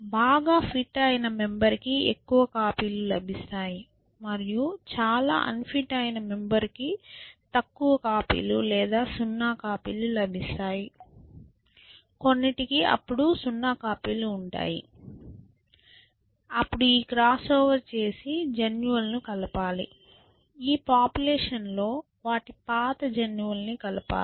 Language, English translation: Telugu, A very fit member will get more copies, and a very unfit member will get less copies or 0 copies, some will have to have 0 copies then, you do this cross over, mix up the genes, took arrived at this population which is now mix up the genes of the old ones